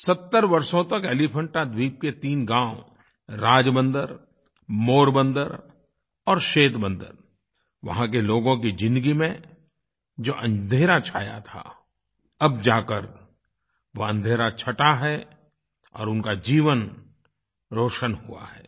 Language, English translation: Hindi, For 70 years, the lives of the denizens of three villages of the Elephanta Island, Rajbunder, Morbandar and Centabandar, were engulfed by darkness, which has got dispelled now and there is brightness in their lives